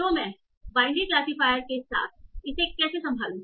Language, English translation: Hindi, So how do I handle this with binary classifiers